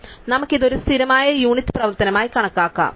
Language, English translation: Malayalam, So, we can treat this as one constant unit operation